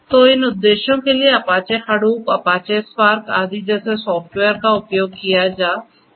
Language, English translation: Hindi, So, software such as Apache Hadoop, Apache Spark etc